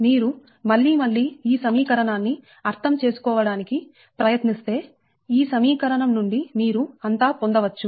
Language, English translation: Telugu, if you can understand this equation, from this equation you can derive everything right